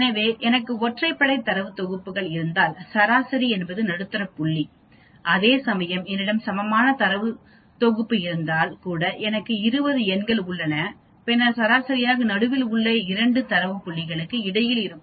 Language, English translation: Tamil, So if I have odd data sets median will be the exactly the middle point whereas if I have the even data set even means I have 20 numbers then, obviously the median will lie between the two data points in the middle actually